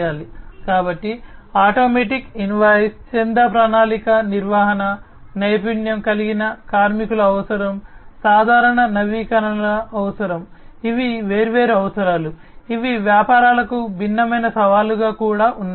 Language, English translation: Telugu, So, automatic invoicing, subscription plan management, requirement of skilled labor, requirement of regular updates; these are different requirements, which are also posing as different challenges to the businesses